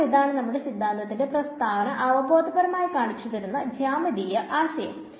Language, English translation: Malayalam, So, this is the starting with a geometric idea which gave us the statement of the theorem very intuitively